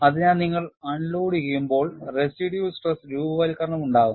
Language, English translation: Malayalam, So, when you unload, you have formation of residual stresses